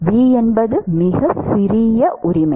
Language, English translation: Tamil, v itself is very small right